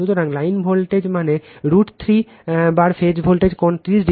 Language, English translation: Bengali, So, line voltage means is equal to root 3 times phase voltage angle 30 degree